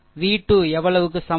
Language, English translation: Tamil, V 2 is equal to how much, right